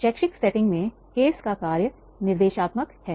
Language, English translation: Hindi, In an educational setting, the function of the case is the instructional